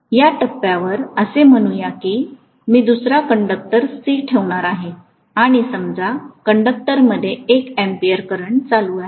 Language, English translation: Marathi, Let’s say at this point, I am going to place another conductor C, and let’s say the conductor is carrying 1 ampere of current